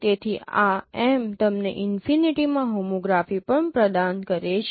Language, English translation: Gujarati, So, and this M provides you also the homography at infinity